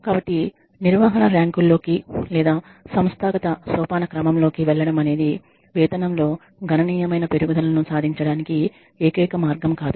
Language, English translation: Telugu, So that moving into management ranks or up the organizational hierarchy is not the only way to achieve a substantial increase in pay